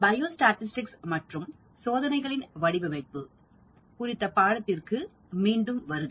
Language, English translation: Tamil, Welcome back to the course on Biostatistics and Design of Experiments